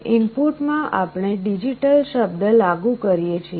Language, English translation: Gujarati, In the input we apply a digital word